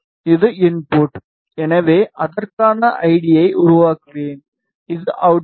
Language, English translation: Tamil, This is the input so I will create an id for it in ok, this is the output